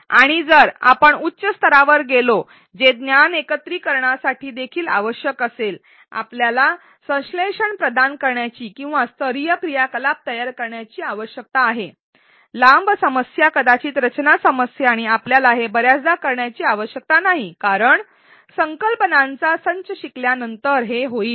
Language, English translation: Marathi, And if we go at a higher level which is also required for integration of knowledge, we need to provide synthesis or create level activities, longer problems perhaps design problems and we don’t need to do this too often because that will the this comes after a set of concepts are learnt, but these do need to be included in the e learning module